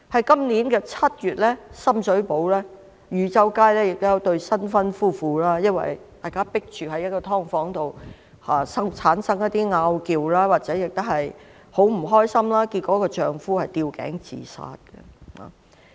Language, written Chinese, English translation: Cantonese, 今年7月，深水埗汝州街有一對新婚夫婦，因為住在"劏房"，生活空間有限，產生爭拗，很不開心，結果丈夫吊頸自殺。, In July this year living in the confined space of a subdivided unit in Yu Chau Street Sham Shui Po a newlywed couple got into arguments with each other and became very unhappy . In the end the husband committed suicide by hanging himself